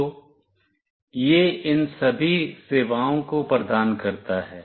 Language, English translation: Hindi, So, it provides all these services